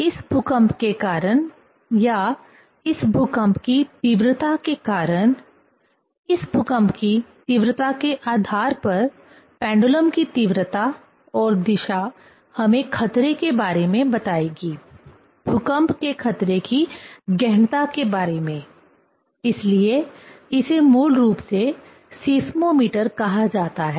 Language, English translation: Hindi, Because of these earthquake or intensity of this earthquake, depending on the intensity of this earthquake, the magnitude and direction of the pendulum will tell us about the danger part, about the intensity of the danger of the earthquake; so that is called basically seismometer